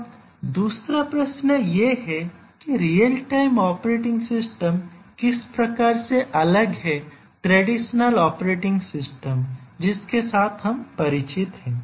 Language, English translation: Hindi, Now, let us ask let us try to answer the second question that how is a real time operating system different from the traditional operating system with which we are familiar to